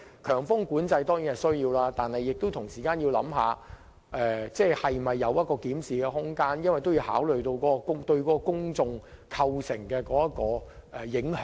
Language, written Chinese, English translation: Cantonese, 強風管制固然有其需要，但政府同時要思考是否有檢討空間，因為政府應考慮封路對公眾的影響。, These measures are of course necessary but the Government should also consider if there is room for review as consideration should be given to the impact of road closures on the public